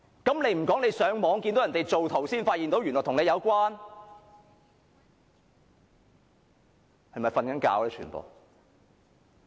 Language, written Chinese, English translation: Cantonese, 他倒不如說上網時看見人家造圖才發現原來與他有關？, Why didnt he say that he only knew he was involved in the matter when he saw his merged image online?